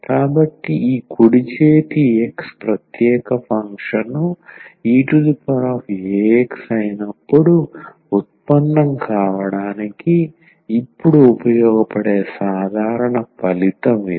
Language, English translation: Telugu, So, this is the general result what we will be useful now to derive when this right hand side x is the special function e power a x